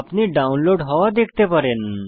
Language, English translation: Bengali, You can see here the download progress